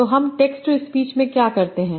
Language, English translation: Hindi, So what do we do in text to speech